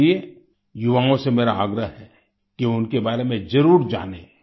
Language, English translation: Hindi, That is why I urge our youngsters to definitely know about him